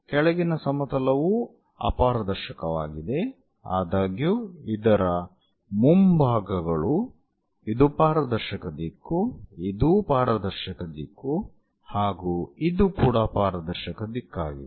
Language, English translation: Kannada, the bottom plane is also opaque plane ; however, the frontal ones this is transparent direction, this is also transparent direction, this is also transparent direction